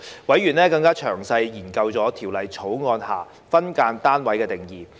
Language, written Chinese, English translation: Cantonese, 委員更詳細研究《條例草案》下"分間單位"的定義。, Furthermore members have examined in greater detail the definition of SDU under the Bill